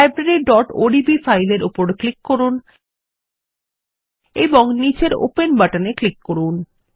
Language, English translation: Bengali, Lets click on the file Library.odb and click on the Open button at the bottom